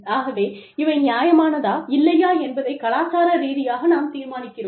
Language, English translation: Tamil, So, this is how, we culturally determine, whether something is fair or not